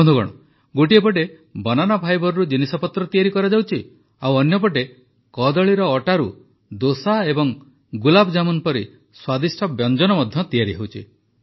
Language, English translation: Odia, Friends, on the one hand products are being manufactured from banana fibre; on the other, delicious dishes like dosa and gulabjamun are also being made from banana flour